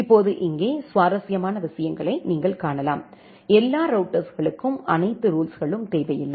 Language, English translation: Tamil, Now here, you can see the interesting things that, all the routers do not need to have all the rules